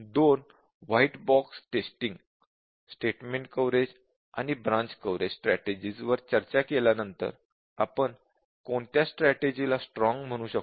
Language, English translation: Marathi, But then after discussing two white box testing strategies statement coverage and branch coverage, can we say which is stronger testing